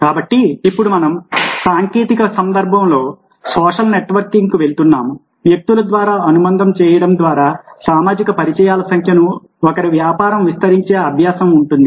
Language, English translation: Telugu, so now we are moving to social networking in the technological context, practice of expanding the number of one's business social contact by making connection through individuals